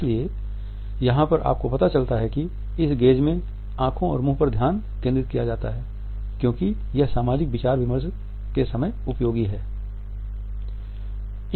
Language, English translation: Hindi, So, here you what find that the focuses on the eyes and the mouth because this is a time of social interaction and talks